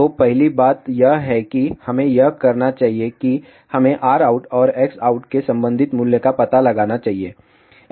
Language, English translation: Hindi, So, the first thing what we should do it is we should find out the corresponding value of R out and X out